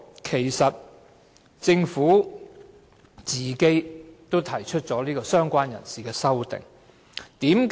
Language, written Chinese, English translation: Cantonese, 其間，政府也提出了"相關人士"的修正案。, During the interim the Government has proposed the amendment on related person